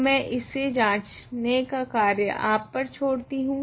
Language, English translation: Hindi, So, this I will leave for you to check